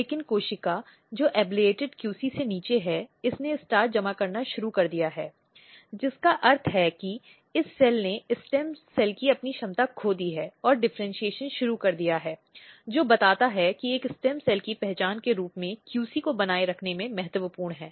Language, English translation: Hindi, But the cell which is below the ablated QC, this has started accumulating starch which means that this cell has lost its capability of stem cells and it has started differentiation, so which tells that QC is very very important in maintaining a cell as a stem cell identity